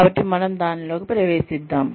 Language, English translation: Telugu, so, let us get into it